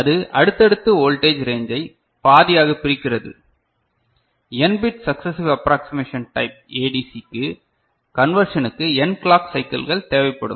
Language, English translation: Tamil, It successively divides voltage range in half, n bit successive approximation type ADC requires n clock cycles for conversion